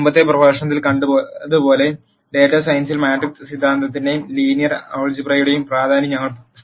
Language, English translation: Malayalam, As we saw in the previous lecture we had established the importance of matrix theory and linear algebra in data science